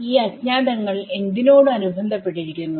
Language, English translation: Malayalam, These unknowns are unknowns corresponding to what